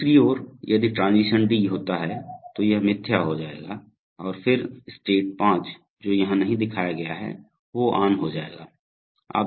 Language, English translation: Hindi, On the other hand if transition D occurs then this will be falsified and then state 5 which is not shown here will be come on